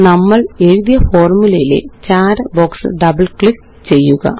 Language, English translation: Malayalam, Double click on the Gray box that has the formulae we wrote